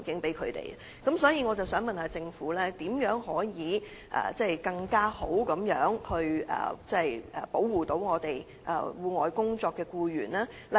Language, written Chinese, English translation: Cantonese, 就此，我想問政府如何進一步保護在戶外工作的僱員？, In this connection I would like to ask the Government how it will enhance protection for outdoor employees